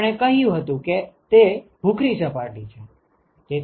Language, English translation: Gujarati, We also said it is a gray surface